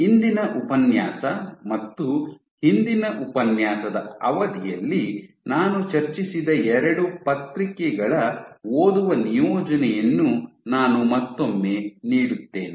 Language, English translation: Kannada, I would once again give reading assignment of the 2 papers that I discussed over the course of the today’s lecture and last lecture